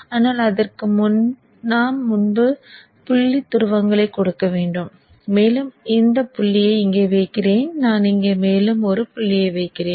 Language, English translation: Tamil, I'll explain to you in a moment but before that we have to give the dot polarities and let me place this dot here and I shall place one more dot here